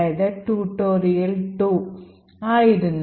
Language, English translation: Malayalam, C or actually tutorial 2